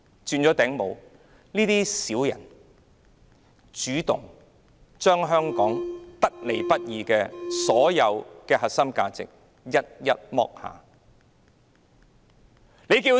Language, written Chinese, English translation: Cantonese, 這些小人主動將香港得來不易的核心價值一一拋棄。, These snobs took the initiative to discard one by one the core values of Hong Kong which did not come by easily